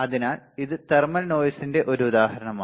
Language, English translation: Malayalam, So, this is an example of thermal noise